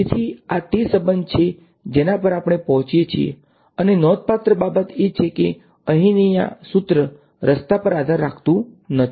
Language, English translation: Gujarati, So, this is the relation that we arrive at and the remarkable thing of course is that this expression over here is path independent